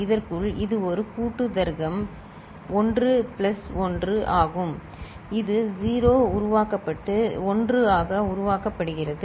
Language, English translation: Tamil, Within this, because it is a combinatorial logic 1 plus 1 which is 0 is generated and carry generated as 1